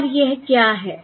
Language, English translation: Hindi, And what is this